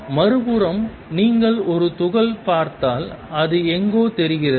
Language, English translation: Tamil, On the other hand if you look at a particle, it is look like somewhere